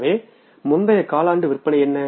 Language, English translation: Tamil, So, what is the previous quarter sales